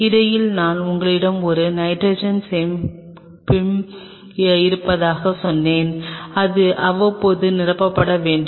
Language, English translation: Tamil, And in between I told you that you have a nitrogen storage which has to be replenished time to time